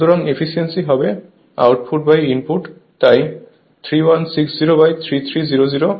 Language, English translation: Bengali, So, efficiency will be output by input so, 3160 upon 3300 so, 95